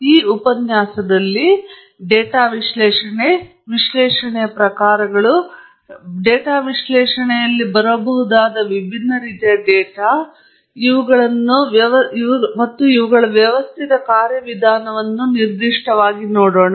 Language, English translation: Kannada, In this lecture, we will specifically look at what is data analysis, the types of analysis, and the different types of data that one encounters in data analysis, and of course, a systematic procedure